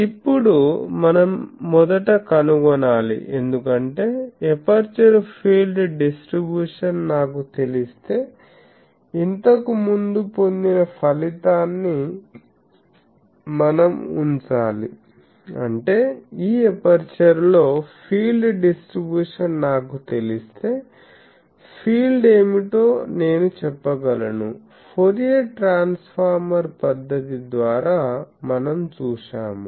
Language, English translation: Telugu, Now, we first find out because, we will have to put our previously derived result that if I know the aperture field distribution; that means, if I know the field distribution on this aperture I will be able to say what is the field, that we have seen the by Fourier transformer method etc